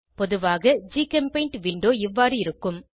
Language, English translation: Tamil, A typical GChemPaint window looks like this